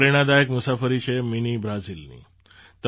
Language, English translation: Gujarati, This is the Inspiring Journey of Mini Brazil